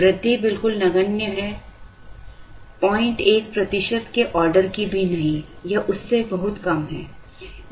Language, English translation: Hindi, The increase is absolutely negligible, not even of the order of 0